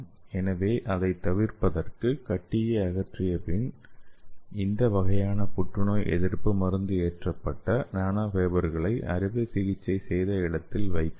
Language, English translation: Tamil, So to avoid that after the removal of the tumor we can place this kind of anti cancer drug loaded nanofibers at the surgery side